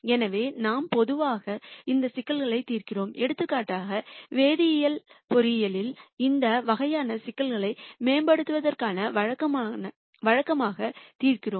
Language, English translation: Tamil, So, we typically solve these problems in for example, in chemical engineering we solve these types of problems routinely for optimizing